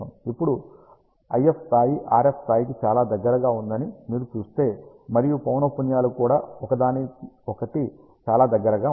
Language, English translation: Telugu, Now, if you see the level of IF is very close to that of RF, and the frequencies are also very close to each other